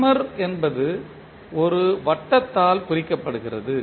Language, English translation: Tamil, So the summer is represented by a circle